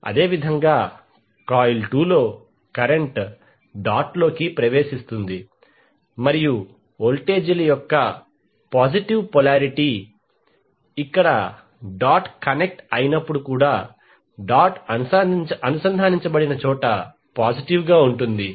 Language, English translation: Telugu, Similarly in the coil 2 current is entering the dot and the positive polarity of the voltages when where the dot is connected here also the positive where the dot is connected